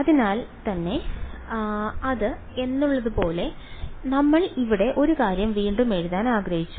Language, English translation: Malayalam, So, when we had yeah just wanted to re rewrite one thing over here